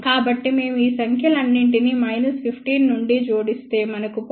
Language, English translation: Telugu, So, if we add all these numbers from minus 15, we get 0